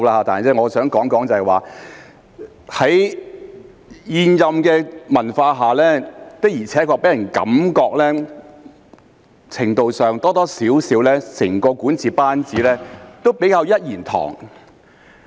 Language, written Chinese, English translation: Cantonese, 但是，我想說的是，在現任的文化下，的確給人感覺在程度上或多或少整個管治班子都比較"一言堂"。, However what I want to say is that under the incumbents culture a certain public perception has indeed been created that the entire governing team tends to allow only one voice to be heard